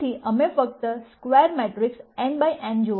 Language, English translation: Gujarati, So, we are going only look at square matrices n by n